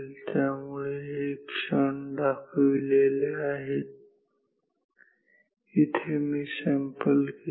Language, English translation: Marathi, So, this is the moments are marking where I am taking these samples